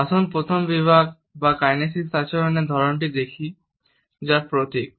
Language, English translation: Bengali, Let us look at the first category or the type of kinesic behavioral that is emblems